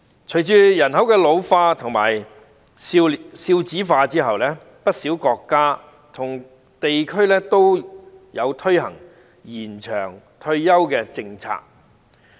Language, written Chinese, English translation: Cantonese, 隨着人口老化和少子化，不少國家和地區均推行延長退休的政策。, With an ageing population and low birth rate many countries and regions have implemented the policy of extending the retirement age